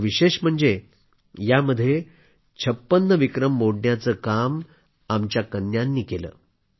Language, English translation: Marathi, And I am proud that of these 80 records, 56 were broken by our daughters